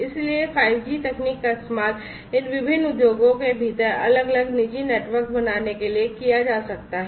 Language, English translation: Hindi, So, 5G technology could be used to build different private networks within these different industries